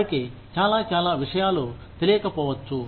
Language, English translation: Telugu, They may not know, a lot of things